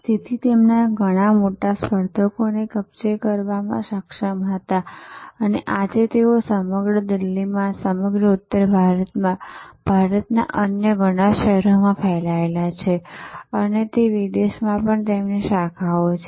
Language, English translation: Gujarati, They were able to take over many of their large competitors and today they are spread all over Delhi, all over North India, many other cities of India and even they have branches abroad